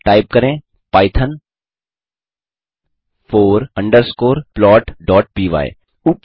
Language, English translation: Hindi, Type python four underscore plot.py Oops